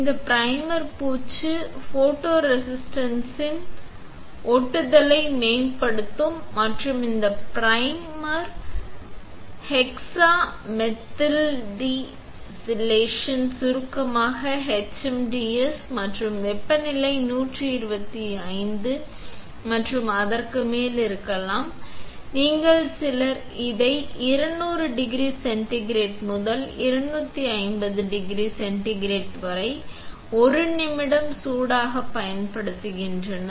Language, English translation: Tamil, This primer coating is to improve the adhesion of photoresist and this primer is hexamethyldisilazane which is HMDS, in short, and the temperature can be 125 and above, you, some people also use it 200 degree centigrade to 250 degree centigrade for 1 minute on hot plate